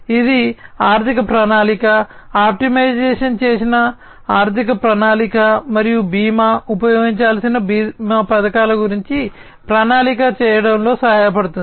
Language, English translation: Telugu, And this will help in financial planning, optimized financial planning and insurance, you know planning about the insurance schemes that will have to be used